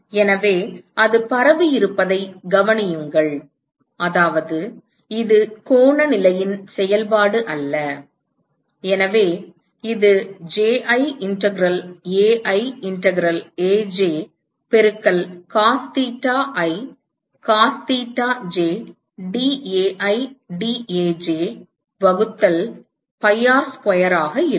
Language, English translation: Tamil, So, note that it is diffused which means its not a function of the angular position and so it will be Ji integral Ai integral a j multiplied by cos theta i cos theta jdAi dAj divided by pi R square